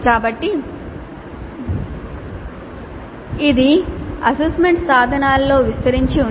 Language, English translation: Telugu, So this is spread over 3 assessment instruments